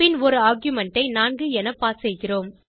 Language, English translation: Tamil, Then we pass an argument as 4